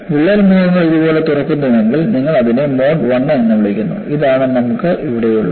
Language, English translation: Malayalam, If the crack phases open up like this, you call it as mode 1 and this is what you have here